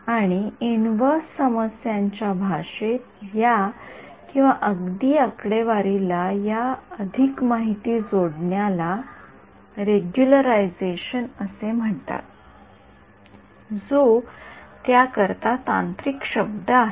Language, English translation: Marathi, And in the language of inverse problems this or even statistics this adding more information is called regularization that is the technical word for it ok